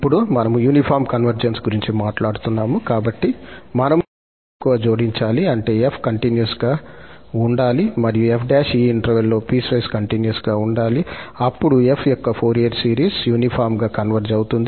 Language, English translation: Telugu, And now, we are talking about the uniform convergence, so, we have to add a little more, that is the f has to be continuous and f prime should be piecewise continuous on this interval, then the Fourier series of f converges uniformly and also absolutely